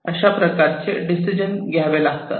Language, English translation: Marathi, So, those kind of decisions will have to be taken